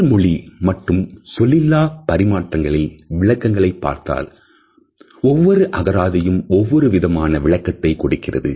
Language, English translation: Tamil, If we look at the definitions of body language or the nonverbal aspects of communication, we find that different dictionaries have tried to define them in interesting manner